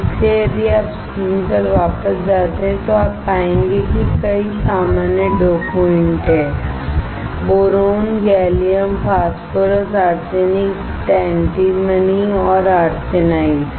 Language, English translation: Hindi, So, if you go back to the screen, you will find that there are several common dopants: Boron, Gallium, Phosphorus, Arsenic, Antimony and Arsenide